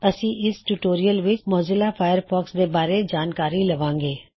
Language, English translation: Punjabi, In this tutorial,we will cover the following topic: What is Mozilla Firefox